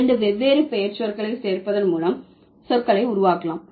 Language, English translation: Tamil, So, the words can be formed by adding two different nouns